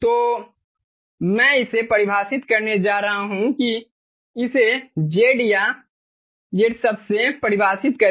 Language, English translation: Hindi, let define this by a term: z or z